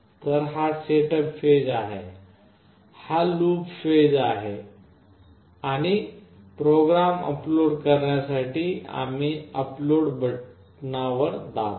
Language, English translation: Marathi, So, this is the setup phase, this is the loop phase and we press on the upload button to upload the program to it